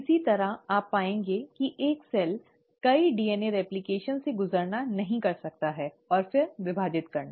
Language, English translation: Hindi, Similarly, you will find that a cell cannot afford to undergo multiple DNA replications and then divide